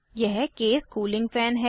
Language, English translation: Hindi, This is the case cooling fan